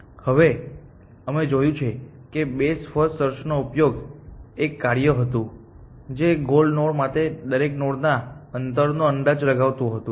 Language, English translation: Gujarati, Now, we saw that what best first search use was a function which kind of estimated the distance of every node to the goal node